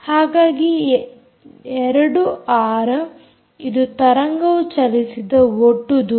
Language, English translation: Kannada, so two r is the total distance travelled by the wave